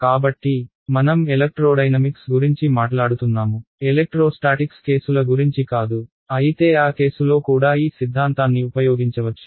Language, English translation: Telugu, So, we are talking about electrodynamics not electrostatics cases, but a the theorem could be extended also in that case